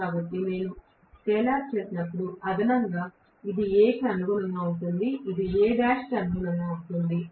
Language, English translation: Telugu, So, when I do the scalar addition, this is corresponding to A, this is corresponding to A dash oaky